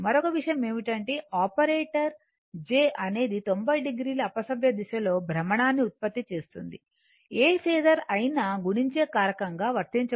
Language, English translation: Telugu, So, another thing is that the operator j produces 90 degree counter clockwise rotation, right of any phasor to which it is applied as a multiplying factor